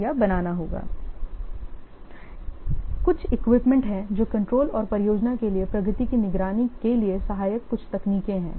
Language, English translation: Hindi, So, there are some tools, there are some techniques helpful for monitoring the progress for controlling the project